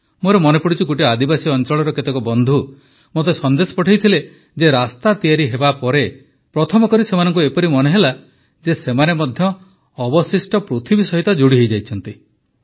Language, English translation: Odia, I remember some friends from a tribal area had sent me a message that after the road was built, for the first time they felt that they too had joined the rest of the world